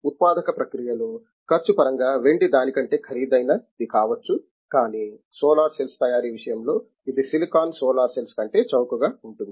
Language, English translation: Telugu, In the manufacturing process, cost process silver may be costlier than that, but in the solar cell manufacturing thing it can be cheaper than the silicon solar cells